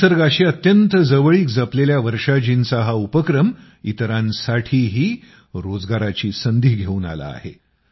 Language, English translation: Marathi, This initiative of Varshaji, who is very fond of nature, has also brought employment opportunities for other people